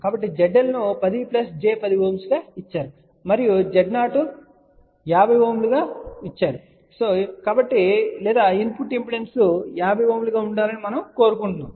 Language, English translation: Telugu, So, Z L was given as 10 plus j 10 Ohm and we would like to have Z 0 equal to 50 Ohm or you can say we want input impedance to be 50 Ohm